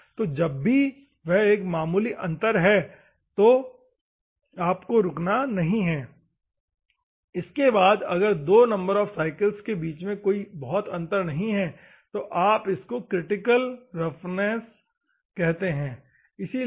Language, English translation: Hindi, So, whenever there is a marginal difference, then you need not stop, beyond which if there is no considerable difference between two number of cycles then you can say this is called critical surface roughness, ok